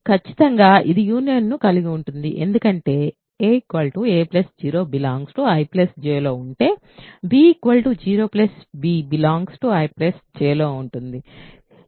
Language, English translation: Telugu, Certainly it contains union because if a is in I then a plus 0 is in I plus J